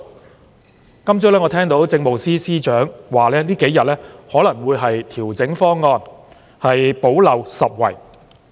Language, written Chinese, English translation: Cantonese, 我今天早上聽到政務司司長說這數天可能會調整方案，補漏拾遺。, This morning I heard the Chief Secretary for Administration say that the proposal might be fine - tuned in these few days to plug gaps